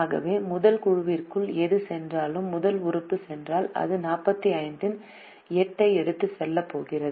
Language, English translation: Tamil, so whatever goes into the first group, which means if the first element goes, then it is going to take away eight out of the forty five